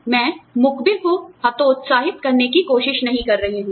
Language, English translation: Hindi, I am not trying to discourage, whistle blowers